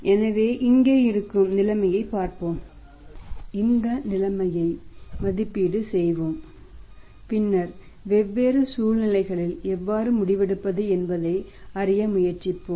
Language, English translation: Tamil, So, let us see we have the situation here we will evaluate the situation and then we will try to learn that how to take the decision in the different situations